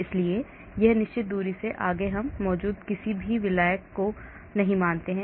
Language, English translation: Hindi, so beyond a certain distance we do not assume any solvent present